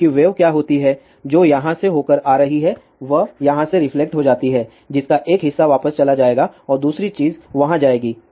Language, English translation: Hindi, Because what happens the wave is which is coming through here it gets reflected from here part of that will go back and other thing will go there